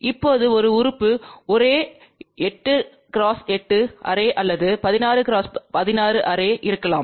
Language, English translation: Tamil, Now, there may be a element array could be 8 by 8 array or 16 by 16 array